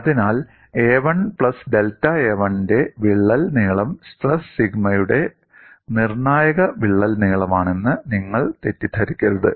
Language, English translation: Malayalam, So, you should not mistake that a crack length of a 1 plus delta a 1 is a critical crack length for the stress sigma c